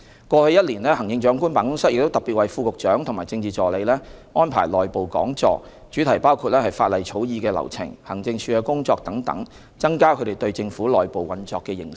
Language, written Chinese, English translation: Cantonese, 過去一年，行政長官辦公室亦特別為副局長和政治助理安排內部講座，主題包括法例草擬的流程、行政署的工作等，增加他們對政府內部運作的認識。, In - house seminars on law drafting procedures and the work of the Administration Wing etc . were also arranged by the Chief Executives Office last year specifically for Deputy Directors of Bureau and Political Assistants to increase their knowledge on the operation of the Government